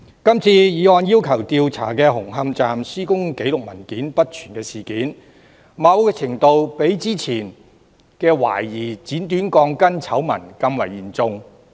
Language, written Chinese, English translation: Cantonese, 今次議案要求調查紅磡站施工紀錄文件不全的事件，某程度上較之前懷疑剪短鋼筋的醜聞更為嚴重。, To a certain extent the issue of incomplete construction documentation of Hung Hom Station into which this motion requests an inquiry is even more serious than the earlier scandal about the suspected cutting of rebars